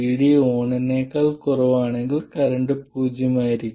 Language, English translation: Malayalam, 0, if VD is less than VD on, the current will be zero